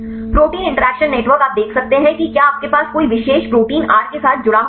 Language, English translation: Hindi, Protein interaction networks you can see if you have any particular protein is linked with R